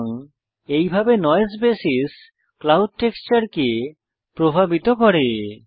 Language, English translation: Bengali, So this is how Noise basis affects the clouds texture